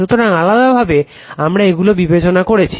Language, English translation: Bengali, So, separately we are considering